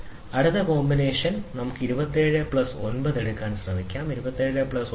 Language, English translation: Malayalam, So, the next combination is 33, we can try to take is as 27 plus 9, so 27 plus 9 is 36